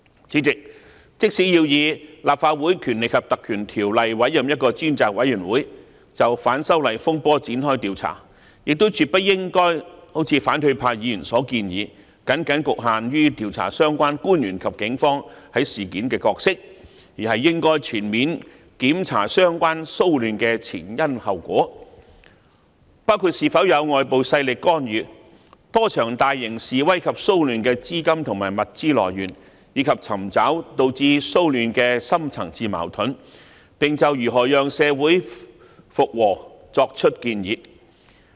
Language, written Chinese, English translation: Cantonese, 主席，即使要根據《立法會條例》委任專責委員會就反修例風波展開調查，亦絕不應如反對派議員所建議，僅局限於調查相關官員及警方在事件的角色，而應全面調查相關騷亂的前因後果，包括是否有外部勢力干預、多場大型示威及騷亂的資金和物資來源，以及尋找導致騷亂的深層次矛盾，並就如何讓社會回復平和作出建議。, President even if a select committee is to be appointed under the Legislative Council Ordinance to inquire into the disturbances arising from the opposition to the proposed legislative amendments we surely should not adopt the proposal of opposition Members of confining the scope of inquiry to ascertaining the roles of public officers and the Police in the incident . Instead we should conduct a comprehensive inquiry into the causes and consequences of the relevant disturbances including ascertaining whether there is any interference of external powers the sources of funding and resources for various large - scale demonstrations and disturbances as well as the deep - rooted conflicts which have led to the disturbances; and make recommendations on ways for social reconciliation